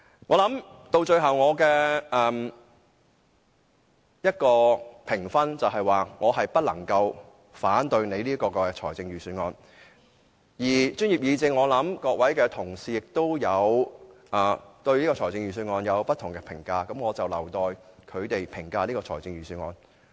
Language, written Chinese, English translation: Cantonese, 我最後的評分，是我不能反對司長的預算案，至於專業議政其他成員，他們可能對預算案有不同評價，我留待他們自行評價預算案。, The final score I give it is that I cannot oppose the Financial Secretarys Budget . As for other members of The Professionals Guild they may have different comments on the Budget . I will let them pass their own comments on the Budget